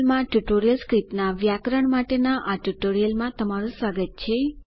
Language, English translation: Gujarati, Welcome to this tutorial on Grammar of TurtleScript in KTurtle